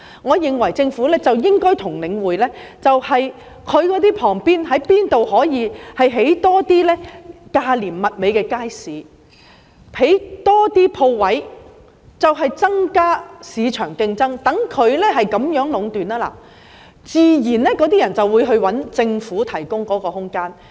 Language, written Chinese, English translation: Cantonese, 我認為政府應該看看可在領展哪些商場旁邊多興建一些價廉物美的街市，多興建鋪位，以增加市場競爭，讓它無法壟斷，這樣租戶自然會轉到政府提供的空間。, I believe the Government should identify the shopping malls of Link REIT in the vicinity of which it can build markets selling inexpensive quality goods and providing more shop spaces to promote market competition so that Link REIT cannot enjoy monopolization . In this way shop tenants will naturally switch to the spaces provided by the Government . The same is true of parking spaces